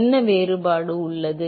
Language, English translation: Tamil, What is the difference